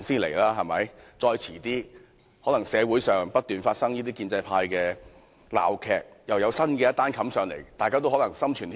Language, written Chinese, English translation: Cantonese, 其間，社會上可能不斷發生建制派的鬧劇，又有新的事情要在立法會討論。, During this period farces relating to the pro - establishment camp may repeatedly take place in the community thus creating new issues for the Legislative Council to discuss